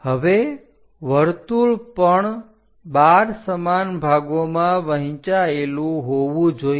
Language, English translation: Gujarati, Now, circle also supposed to be divided into 12 equal parts